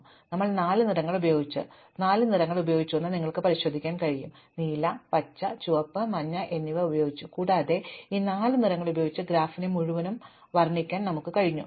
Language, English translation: Malayalam, So, we used four colors, you can check that we have used four colors, we have used blue, green, red and yellow and we have managed to color this entire graph with just these four colors